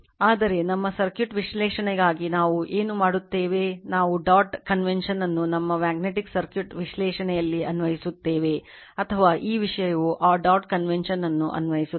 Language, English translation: Kannada, But for our circuit analysis what we will do we will apply the dot convention in circuit analysis, in our magnetic circuit analysis or this thing will apply that dot convention right